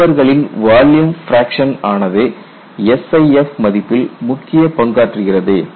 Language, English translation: Tamil, So, the volume fracture of the fibers does play a role on the value of SIF